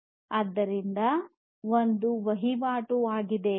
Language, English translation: Kannada, So, there is a tradeoff